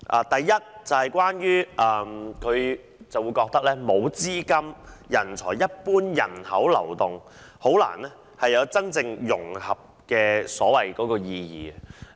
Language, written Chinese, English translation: Cantonese, 第一，他認為，沒有資金、人才及一般人口流動便難以達到融合的真正意義。, First he thinks that without capital talent and general population flows it will be difficult to achieve genuine integration